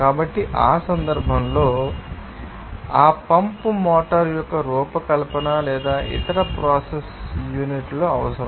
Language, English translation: Telugu, So, in that case, you know, the designing of that pump motor or some other process unit that will be requiring